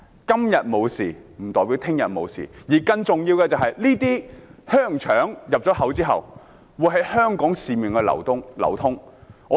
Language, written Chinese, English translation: Cantonese, 今天沒有事不代表明天也會沒有事，而更重要的是，進口香港的香腸之後會在市面流通。, Even though nothing happens today it does not mean that something will not happen tomorrow . More importantly the sausages after being brought into Hong Kong will be circulated in the community